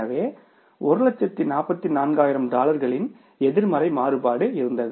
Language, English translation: Tamil, So, there was a variance, negative variance of the $144,000